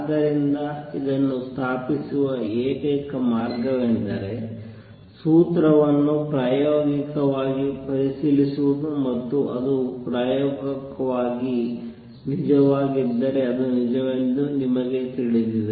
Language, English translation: Kannada, So, let me write this the only way to establish this is to verify the formula experimentally and if it comes out true experimentally then you know it is a relationship which is true